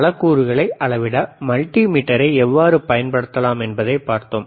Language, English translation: Tamil, We have seen how we can use a multimeter to measure several components